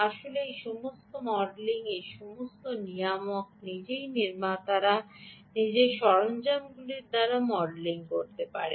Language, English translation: Bengali, in fact, all this modeling, all this regulator itself, can be modeled by manufacturers, specific tools